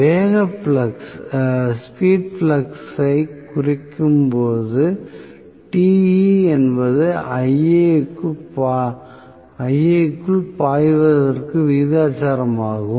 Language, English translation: Tamil, When we reduce speed flux we can say Te is proportional to flux into Ia